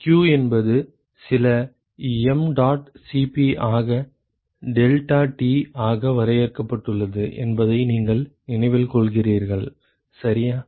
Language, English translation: Tamil, You remember that q is simply defined as some mdot Cp into deltaT, ok